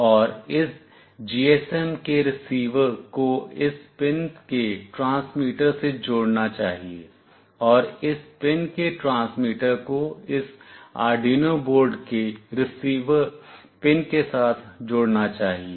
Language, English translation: Hindi, And the receiver of this GSM must be connected the transmitter of this pin, and the transmitter of this pin must be connected with the receiver pin of this Arduino board